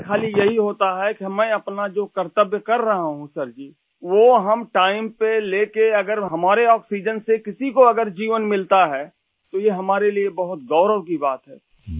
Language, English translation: Urdu, For us, it's just that we are fulfilling our duty…if delivering oxygen on time gives life to someone, it is a matter of great honour for us